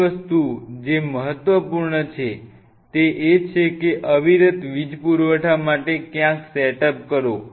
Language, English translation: Gujarati, Second thing which is very important is you may of for uninterrupted power supply somewhere in do this set up